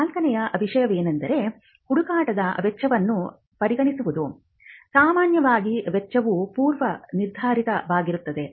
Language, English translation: Kannada, Now the fourth thing you would consider is the cost normally the cost of a search is fixed